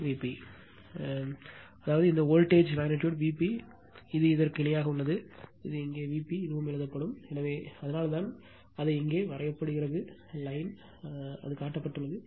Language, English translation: Tamil, So, this is this shows the; that means, this voltage magnitude is V p and this one is parallel to this will write here this is also V p right, so that is why it is drawn it here dash line it is shown